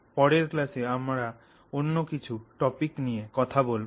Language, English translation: Bengali, We will pick up some other topics in the next class